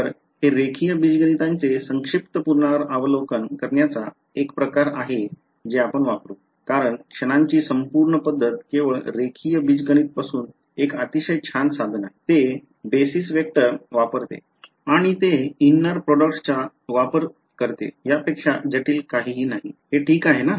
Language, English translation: Marathi, So, this is sort of brief review of linear algebra that we will use ok; because the whole method of moments is a very very nice tool from linear algebra only, it uses basis vectors and it uses inner products nothing much nothing more complicated in that is this fine so far